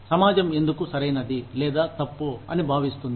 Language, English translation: Telugu, Why the society considers, something as right or wrong